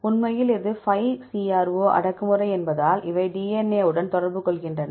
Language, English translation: Tamil, In fact this because 5CRO is the cro repressor, these interact with the DNA likewise here if you see